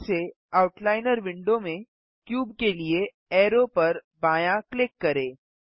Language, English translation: Hindi, Again, left click arrow for cube in the Outliner window